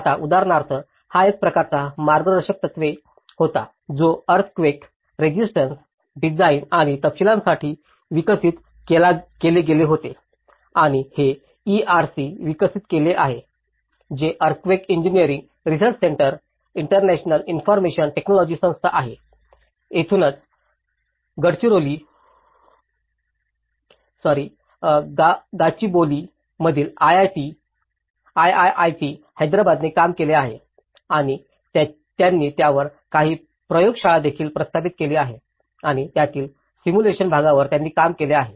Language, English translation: Marathi, Now, for example, this was an a kind of guidelines which have been developed for earthquake resistant design and detailing and this has developed by ERC which is the Earthquake Engineering Research Centre, International Institute of Information Technology, this is where the IIIT in Gachibowli, Hyderabad have worked and they have also set up some lab on it and they have worked on the simulations part of it